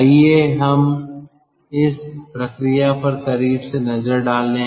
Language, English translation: Hindi, lets take a closer look at this process